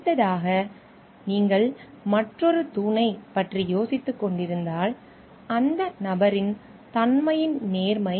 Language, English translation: Tamil, Next if you are thinking of another pillar which comes is the integrity of the character of the person